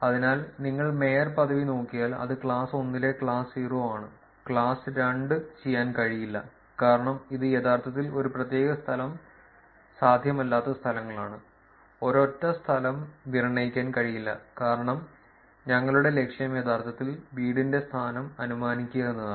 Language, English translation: Malayalam, So, if you look at mayorship it is class 0 on class 1, we cannot do class 2 because it is actually the places where a particular location cannot be, one single location cannot be inferred, which is because our goal is to infer actually the home location